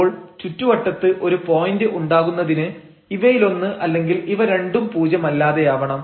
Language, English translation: Malayalam, So, to have a point in the neighborhood one of them has to be non zero both of them have to be non zero